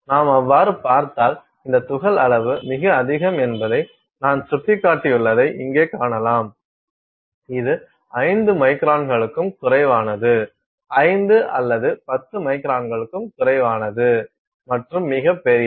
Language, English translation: Tamil, So, if you look at so, you can see here that I have indicated that there are very this particle size, that we can consider as very small which is less than 5 microns, less than 5 or 10 microns and then very large which is greater than about say 80 microns